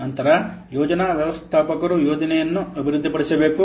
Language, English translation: Kannada, Then the project manager has to develop the plan